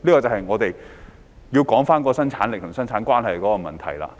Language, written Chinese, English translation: Cantonese, 這便是關乎生產力與生產關係的問題。, This is exactly a matter of productivity and productive roles